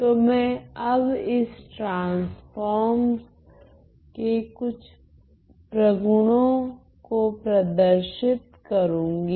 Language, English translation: Hindi, So, I am going to now look at some properties of these transforms